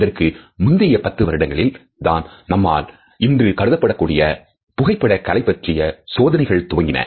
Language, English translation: Tamil, It was only in some preceding decades that people were experimenting with the basics of what we today consider as photography art